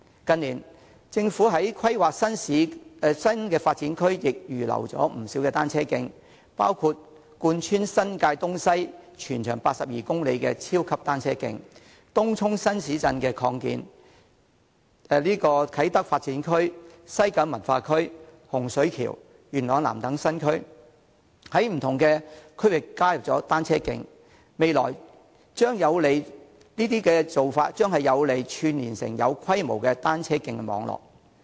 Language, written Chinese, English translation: Cantonese, 近年，政府在規劃新發展區時亦預留了不少土地興建單車徑，包括貫穿新界東西、全長82公里的超級單車徑，而在東涌擴建的新市鎮，以及啟德發展區、西九文化區、洪水橋、元朗南等不同區域的新區，亦加設了單車徑，這些做法將有利於把單車徑串連成為有規模的單車徑網絡。, They include a super cycle track which is 82 km long joining up New Territories East and New Territories West . Additional cycle tracks have also been provided in the new town expanded in Tung Chung as well as the new areas in different regions such as the Kai Tak Development Area West Kowloon Cultural District Hung Shui Kiu and Yuen Long South . These practices are conducive to linking up the cycle tracks to form a large - scale cycle track network